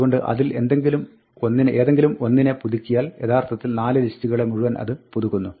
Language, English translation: Malayalam, So, any one of those updates would actually update all 4 lists